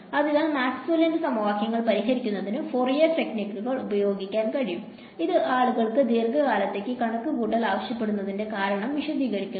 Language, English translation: Malayalam, So, Fourier techniques can be applied to solve Maxwell’s equations which also explains why people did not need to solve them computationally for a long time because